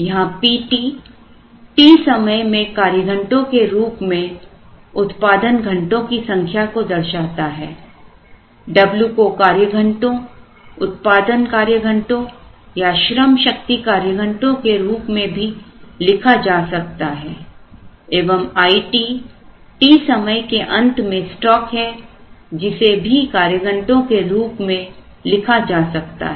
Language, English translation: Hindi, Here, P t is the number of hours of production in man hours in period t, W also can be written in terms of man hours production man hours workforce man hours and I t is the inventory at the end of period t which could also be written in terms of man hours